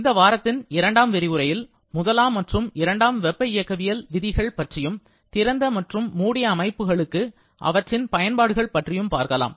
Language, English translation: Tamil, In the second lecture of this week, we are going to talk about the first and second law of thermodynamics and its application to closed and open systems